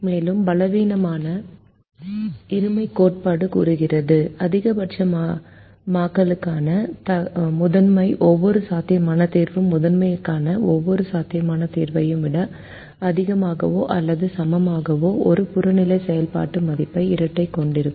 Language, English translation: Tamil, and the weak duality theorem says that for a maximization primal, every feasible solution to the dual will have an objective function value greater than or equal to that of every feasible solution to the primal